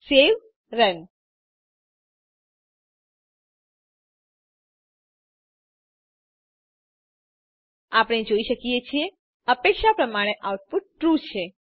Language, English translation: Gujarati, Save Run As we can see, the output is True as expected